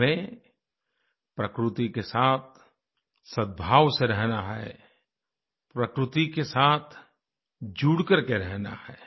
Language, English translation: Hindi, We have to live in harmony and in synchronicity with nature, we have to stay in touch with nature